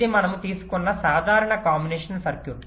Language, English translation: Telugu, it is a pure combinational circuit